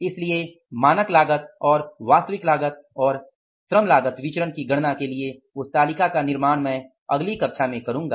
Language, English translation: Hindi, So preparation of that table with regard to standard cost and actual cost and calculating LCB I will be doing in the next class